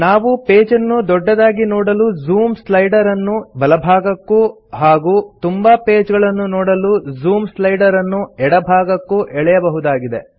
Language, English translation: Kannada, We can also drag the Zoom slider to the right to zoom into a page or to the left to show more pages